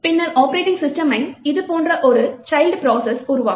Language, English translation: Tamil, The OS would then create a child process like this